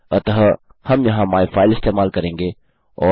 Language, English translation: Hindi, So well use myfile here